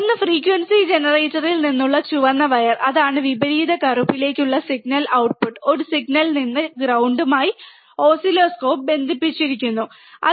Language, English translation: Malayalam, One red wire from the frequency generator, that is the signal to the inverting black to the ground from the output one signal to the oscilloscope ground connected to the ground